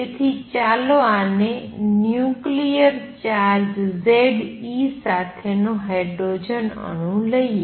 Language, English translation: Gujarati, So, let me call this hydrogen like atom with nuclear charge z e